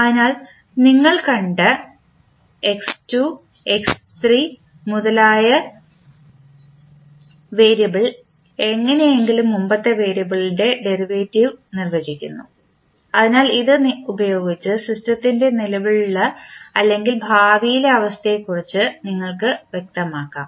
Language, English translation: Malayalam, So, the variable which you have seen x2, x3 and so on are somehow defining the derivative of the previous variable so with this you can specify the system performance that is present or future condition of the system